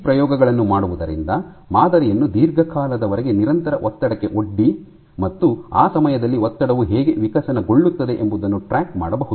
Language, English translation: Kannada, So, for doing these experiments you exposed you expose the specimen to a stress constant stress for an extended duration of time, and during that time you track how there is the strain evolved